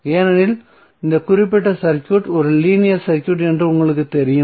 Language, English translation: Tamil, Because you know that this particular circuit is a linear circuit